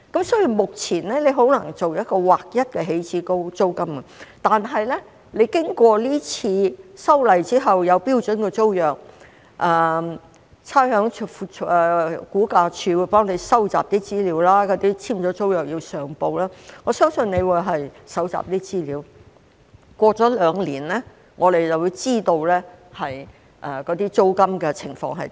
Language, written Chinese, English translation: Cantonese, 所以，目前很難訂立劃一的起始租金，但經過今次修例之後，有標準租約，差餉物業估價署會幫忙搜集資料，已簽租約的要上報，我相信局長可以搜集一些資料，兩年後，我們便可知道租金的情況。, Therefore it is very difficult to set a standard initial rent at present but after this amendment exercise the tenancy agreement will be standardized . The Rating and Valuation Department will help to collect information and those who have signed a tenancy agreement will have to report it . I believe the Secretary can collect some information and after two years we will know about the situation of rent